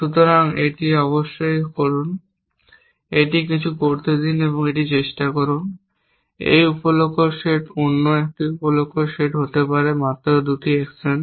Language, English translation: Bengali, So, do this, of course it, let it do some it try this sub goal set another sub goal set could be just 2 actions, for example you can see that that it may try